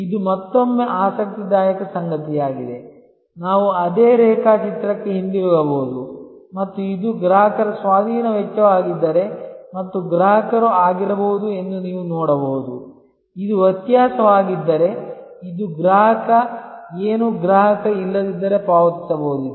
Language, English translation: Kannada, This is something interesting again, we can go back to that same diagram and you can see that, if this is the acquisition cost of the customer and the customer might have been, if this is the difference, this is the customer, what the customer would have paid otherwise